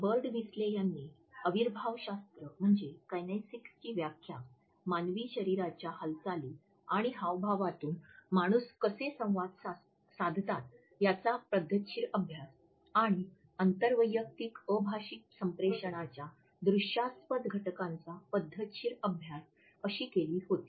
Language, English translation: Marathi, Birdwhistell had defined kinesics as “the systematic study of how human beings communicate through body movements and gesture” and also as the “systematic study of the visually sensible aspects of nonverbal interpersonal communication”